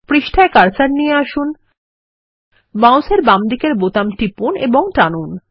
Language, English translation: Bengali, Move the cursor to the page, press the left mouse button and drag